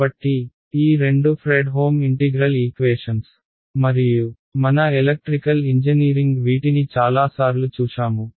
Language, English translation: Telugu, So, these two are Fredholm integral equations and we electrical engineering comes up across these many many times